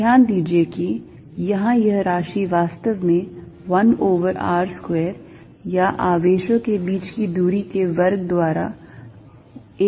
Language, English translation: Hindi, Notice that, this quantity here is actually 1 over r square or 1 over the distance between the charges square